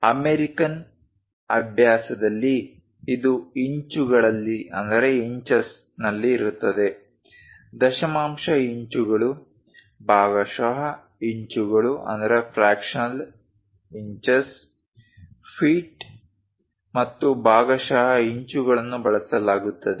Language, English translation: Kannada, In American practice, it will be in terms of inches, decimal inches, fractional inches, feet and fractional inches are used